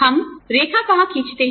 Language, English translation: Hindi, Where do we, draw the line